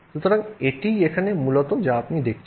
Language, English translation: Bengali, So, that is basically what you are seeing here